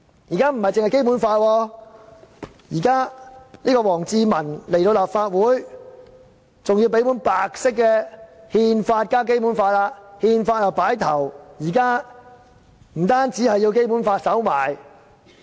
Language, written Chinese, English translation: Cantonese, 而且，除了《基本法》之外，王志民到訪立法會時還要多送一本書面是白色的憲法，放在《基本法》的上面。, Furthermore apart from the Basic Law when WANG Zhimin came here to visit the Legislative Council he has also given us a copy of the Constitution of the Peoples Republic of China which has a white cover and was placed on top of the Basic Law